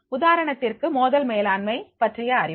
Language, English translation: Tamil, For example, the knowledge about the conflict management